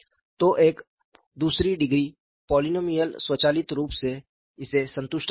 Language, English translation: Hindi, So, a second degree polynomial will automatically satisfy this